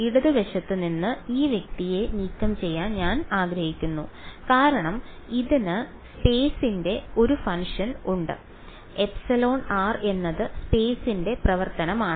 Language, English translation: Malayalam, I want to get I want to remove this guy from the left hand side because it has a function of space epsilon r is a function of space